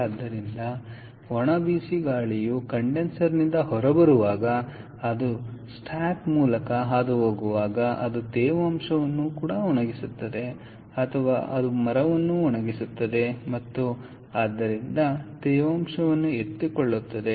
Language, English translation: Kannada, so the dry hot air as it pass, coming out of the condenser, when it passes through the stack, it dries the moisture or it dries the timber and therefore picks up moisture